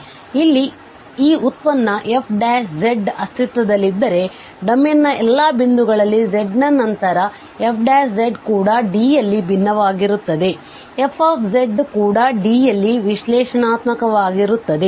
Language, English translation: Kannada, So here, if this derivative f primes z exist at all points z of the domain, then the f z is also differentiable in D f z is also analytic in D